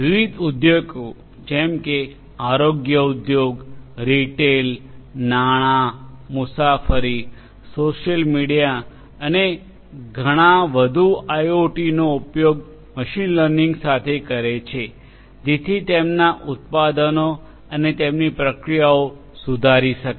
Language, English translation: Gujarati, Different industries such as healthcare industry, retail, finance, travel, social media and many more use IIoT with machine learning in order to improve their products their processes and so on